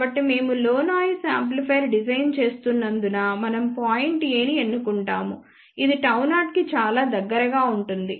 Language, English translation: Telugu, So, let us say since we are designing a low noise amplifier we choose point A which is very very close to gamma 0